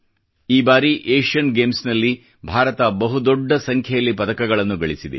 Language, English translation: Kannada, This time, India clinched a large number of medals in the Asian Games